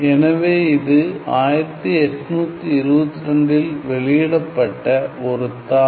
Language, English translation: Tamil, So, it was a paper published in 1822